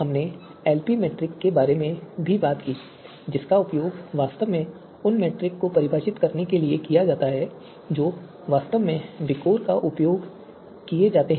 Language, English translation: Hindi, We also talked about the LP metric which is actually used to you know define the metrics that are actually used in VIKOR